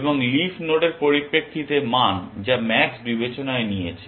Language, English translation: Bengali, And value in terms of the leaf nodes that max has taken into account